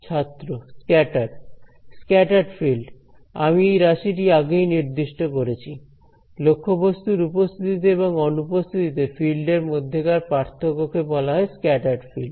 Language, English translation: Bengali, Scattered field we have defined this quantity earlier, then the difference between the fields in the presence and absence of an object is called the scattered field